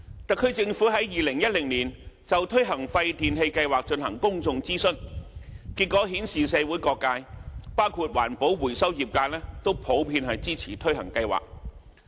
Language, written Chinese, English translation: Cantonese, 特區政府在2010年就推行廢電器計劃進行公眾諮詢，結果顯示社會各界，包括環保回收業界都普遍支持推行計劃。, The outcome of a public consultation conducted by the Special Administrative Region SAR Government in 2010 on the implementation of WPRS revealed that all sectors of the community including the recycling trade generally supported the implementation of WPRS